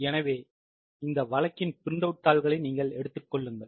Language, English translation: Tamil, So, I hope you have taken the printout of this case